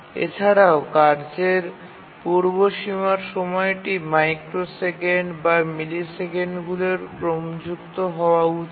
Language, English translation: Bengali, Also the preemption time of tasks should be of the order of microseconds or maybe milliseconds